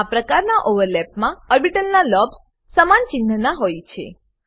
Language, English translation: Gujarati, In this type of overlap, lobes of orbitals are of same sign